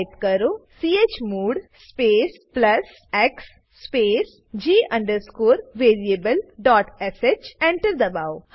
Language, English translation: Gujarati, Lets make file executable By Typing chmod space plus x space l variable.sh Press Enter